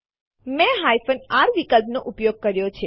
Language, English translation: Gujarati, I have used the r option